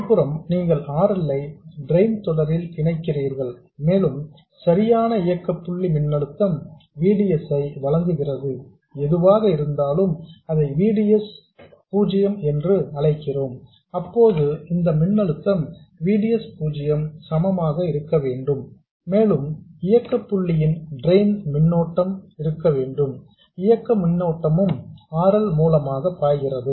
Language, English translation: Tamil, On the other side you connect RL in series with the drain and to provide the correct operating point voltage VDS, whatever that is, let's call it VDS, then this voltage will have to be equal to VDS plus the operating point drain current